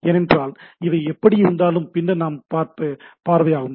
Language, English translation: Tamil, Because these are anyway that part we will see later on